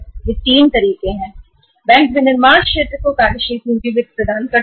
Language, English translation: Hindi, These are the 3 ways banks provide the working capital finance to the manufacturing sector